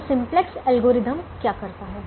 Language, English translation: Hindi, so what does simplex algorithm do